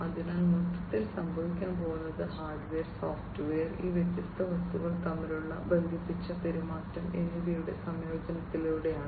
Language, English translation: Malayalam, So, in overall what is going to happen is through the incorporation of hardware, software, and the connected behavior between these different objects